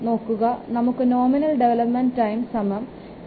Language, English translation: Malayalam, So you see we will get the value of nominal development time is equal to 2